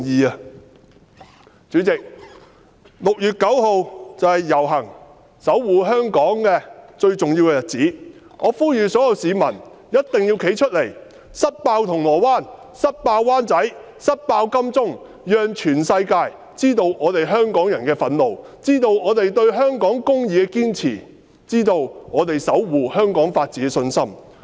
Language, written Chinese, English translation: Cantonese, 代理主席 ，6 月9日便是遊行日期，是守護香港最重要的日子，我呼籲所有市民必定要站出來，一同"塞爆"銅鑼灣、"塞爆"灣仔、"塞爆"金鐘，讓全世界知道香港人的憤怒，知道我們對香港公義的堅持，知道我們守護香港法治的信心。, Deputy President 9 June is the date for the procession a significant date for safeguarding Hong Kong . I implore everyone to come forward to fill up Causeway Bay fill up Wan Chai and fill up Admiralty so that the world will know the anger of the people of Hong Kong our perseverance in upholding justice in Hong Kong and our faith in safeguarding the rule of law of Hong Kong